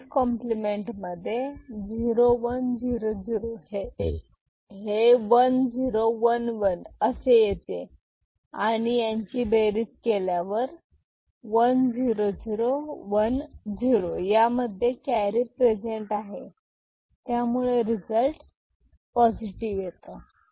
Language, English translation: Marathi, So, 1’s complement of this 0 1 0 0 is 1 0 1 1 you add them up 1 0 0 1 0 carry is present so, result is positive